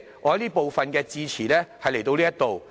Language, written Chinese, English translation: Cantonese, 我這部分的致辭到此為止。, I shall stop here in this session